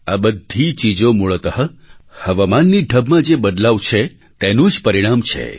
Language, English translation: Gujarati, These calamities are basically the result of the change in weather patterns